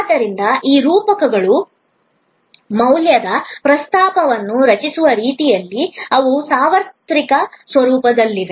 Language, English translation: Kannada, So, these metaphors in a way it create value propositions, which are universal in nature